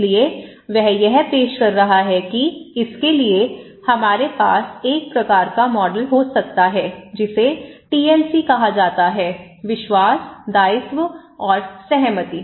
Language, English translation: Hindi, So, he is offering that for that we can have a kind of model which is called TLC; trust, liability and consent okay